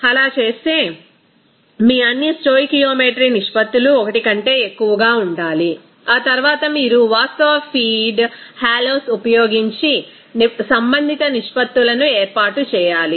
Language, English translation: Telugu, And in doing so all your stoichiometry ratios should be greater than 1, after that you have to set up the corresponding ratios using actual feed hallows